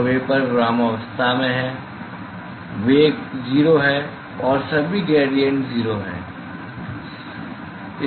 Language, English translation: Hindi, So, vapor is at rest the velocity is 0 and also all the gradients are 0 all gradients are 0